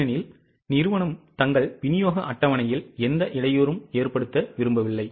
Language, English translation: Tamil, Because company does not want any disturbance in their delivery schedules